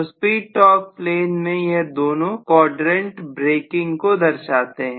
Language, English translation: Hindi, So these two quadrants are generally meant for in the speed torque plane they are meant for braking